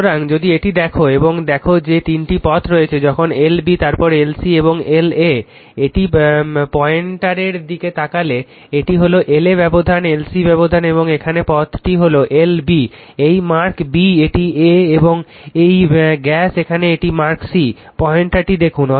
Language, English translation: Bengali, So, if you look into this and look into this that your there are three paths when L B then your L C and this is L A, this is look at the pointer this is L A the gap is your L C and here it is this path is L B right, it is mark B it is A and this gas here it is mark C, look at the pointer right